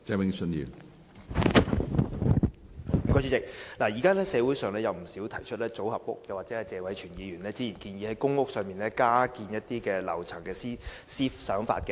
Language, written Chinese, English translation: Cantonese, 現時社會上有不少人提出興建組合屋，又或謝偉銓議員早前曾建議在公屋加建樓層。, A number of proposals have been put forward in society such as the construction of modular housing or a suggestion made earlier by Mr Tony TSE to build additional storeys in public housing blocks